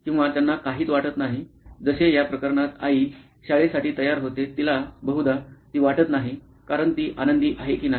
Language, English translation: Marathi, Or they do not feel anything, like in this case mom getting ready for school she does not probably feel anything as she is happy or not